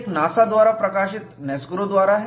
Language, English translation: Hindi, One is by NASGRO, published by NASA